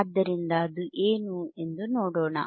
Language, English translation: Kannada, So, let us see what is that